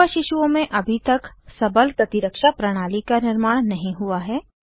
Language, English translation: Hindi, Young babies have not yet built up a strong immune system